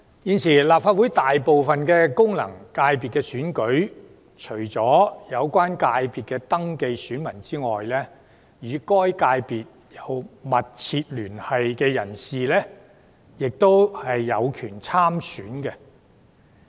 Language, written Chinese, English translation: Cantonese, 現時立法會大部分功能界別選舉中，除所屬界別的已登記選民外，與該界別有密切聯繫的人士亦有權參選。, At present for most FCs of the Legislative Council apart from the registered electors other persons having a substantial connection with the relevant FCs are also eligible to run in the election